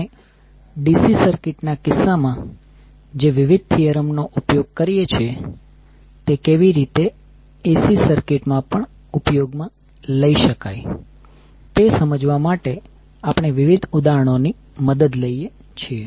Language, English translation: Gujarati, So what we will do, we will take the help of various examples to understand how the various theorems which we use in case of DC circuit can be utilized in AC circuit as well